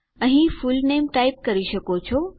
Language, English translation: Gujarati, Here you can type your fullname